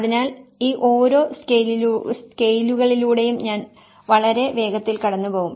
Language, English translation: Malayalam, So, I will briefly go through each of these scales very quickly